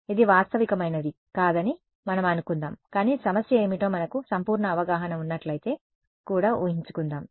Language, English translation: Telugu, Let us assume it is not realistic, but let us assume even if we had perfect knowledge of view what is the problem